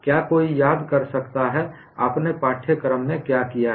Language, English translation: Hindi, Can anyone recall what you have done in the course